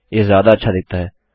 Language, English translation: Hindi, It looks a lot better